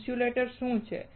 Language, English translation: Gujarati, What is an insulator